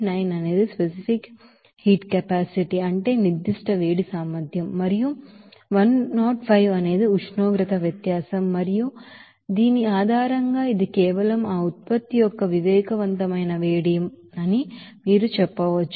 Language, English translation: Telugu, 9 is that specific heat capacity and 105 is the temperature difference and based on which you can say that this is simply that sensible heat of that product